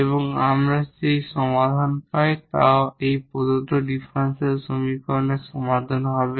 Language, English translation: Bengali, So, this will be the solution here for this given differential equation this linear differential equation